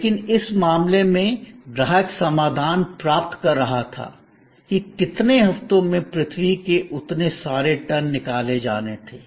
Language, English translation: Hindi, But, in this case, the customer was getting the solution, that so many tones of earth were to be removed in so many weeks